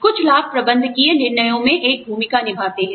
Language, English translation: Hindi, Certain benefits play a part in, managerial decisions